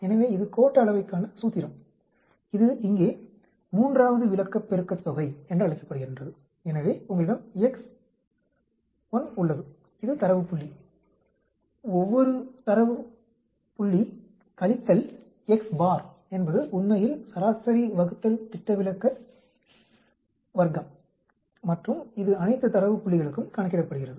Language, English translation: Tamil, So, this is the formula for skewness, it is called the Third moment here, so you have xI that is the data point, each of the data point minus x bar is the average divided by the standard deviation cube actually, and it is calculated for all these data points